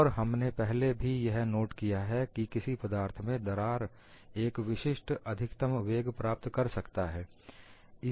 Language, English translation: Hindi, And we have also noted earlier, cracks can attain only a particular maximum velocity in any material